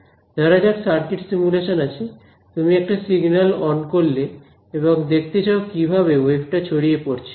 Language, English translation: Bengali, Let us say circuit simulation you turn a signal on and you want to see how the wave spreads and things like that right